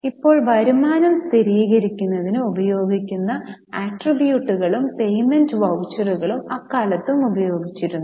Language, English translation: Malayalam, Now, the attributes used in the present day for verifying income and payment vouchers were also used in those times